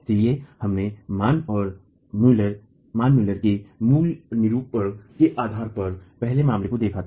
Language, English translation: Hindi, So, we had looked at the first of the cases based on the basic formulation of Mann and Mueller